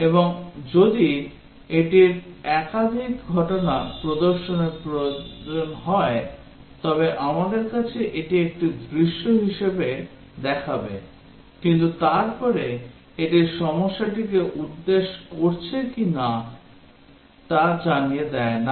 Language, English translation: Bengali, And if it needs to display multiple occurrences then we will have that as a scenario, but then it does not tell the problem is not addressing that